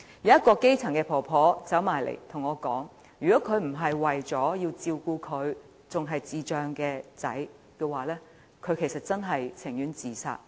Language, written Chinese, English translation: Cantonese, 一名基層婆婆過來跟我說，如果她不是為了照顧智障兒子，便寧願自殺。, A grass - roots elderly lady approached me and told me that if she had not been required to take care of her son with intellectual disability she would have killed herself